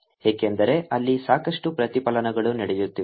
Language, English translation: Kannada, that's because there's a lot of reflection taking place